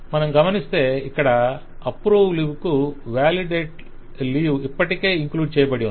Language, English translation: Telugu, Now, mind you, this approve leave has already included a validate leave